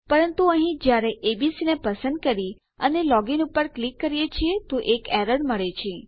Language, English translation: Gujarati, But here when we choose abc and we click log in and we have got an error